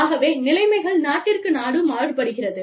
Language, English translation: Tamil, So, you know, the conditions vary from, country to country